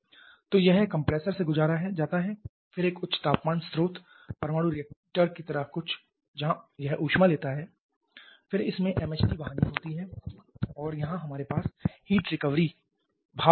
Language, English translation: Hindi, So, it passes to the compressor then a high temperature source something like a nuclear reactor where it picks up the heat then it has the MHD deduct and here we have the heat recovery steam generator